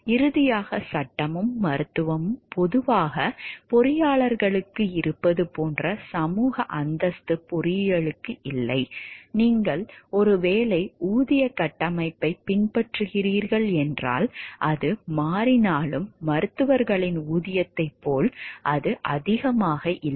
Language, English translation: Tamil, Finally, engineering does not have the social stature that law and medicine have generally what happens is engineers, if you are going by maybe the pay structure, though it is changing are not that highly paid as that of doctors